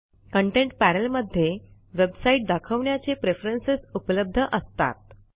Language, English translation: Marathi, The Content panel contains preferences related to how websites are displayed